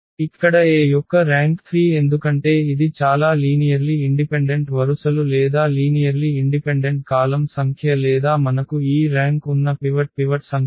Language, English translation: Telugu, So, here the rank of A is 3 because it s a number of linearly independent rows or number of linearly independent columns or the number of pivots we have this rank 3